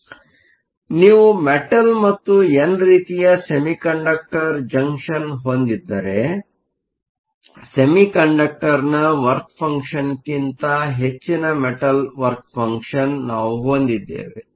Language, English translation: Kannada, So, if you have a metal and an n type semi conductor junction, we have the work function of the metal greater than the work function of the semiconductor